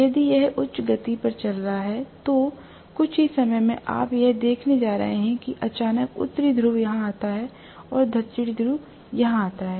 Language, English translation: Hindi, If it is running at a high speed, within no time, you are going to see that suddenly North Pole comes here and South Pole comes here